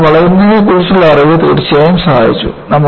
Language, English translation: Malayalam, So, the knowledge of bending definitely helped